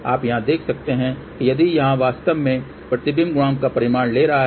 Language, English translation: Hindi, You can see here that this one here is actually taking magnitude of Reflection Coefficient